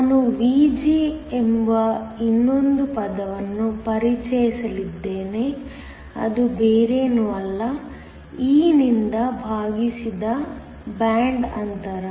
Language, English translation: Kannada, I am also going to introduce another term Vg which is nothing but, the band gap divided by e